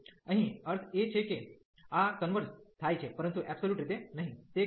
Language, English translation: Gujarati, So, here meaning is that this converges, but not absolutely